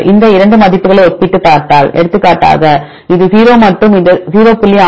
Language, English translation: Tamil, If you compare these 2 values; for example this is 0 and this 0